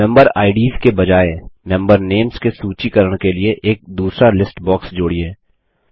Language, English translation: Hindi, Add a second list box for listing member names instead of unfriendly member Ids